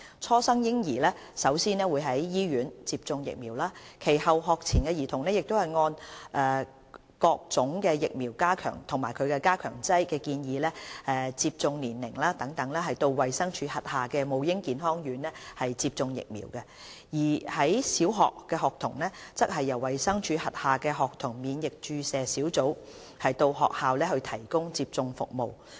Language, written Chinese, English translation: Cantonese, 初生嬰兒首先會在醫院接種疫苗，其後學前兒童可按各種疫苗及加強劑建議的接種年齡等到衞生署轄下的母嬰健康院接種疫苗，而小學學童則由衞生署轄下的學童免疫注射小組到學校提供接種服務。, Vaccines are first given to newborn babies in hospitals . During their pre - school period children will receive different types of vaccines and boosters at recommended ages of vaccination at the DHs Maternal and Child Health Centres MCHCs . As for primary school children vaccination is provided at schools by the DHs outreaching School Immunisation Team SIT